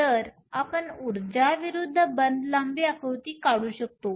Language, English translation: Marathi, So, we can draw the energy versus bond length diagram